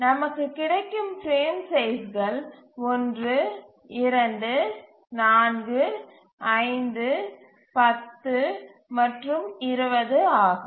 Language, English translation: Tamil, So the frame sizes if you see here are 4, 5 and 20